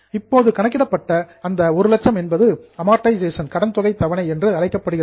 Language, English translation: Tamil, That 1 lakh which is calculated each year is called as amortization